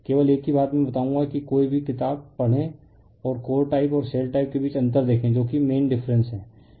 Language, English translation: Hindi, Only one thing one thing I will tell you that you read any book and see the differences between the core type and your shell type what is the main different, right